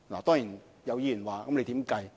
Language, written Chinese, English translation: Cantonese, 當然，有議員問如何計算？, Certainly some Member may ask us how we have arrived at this estimation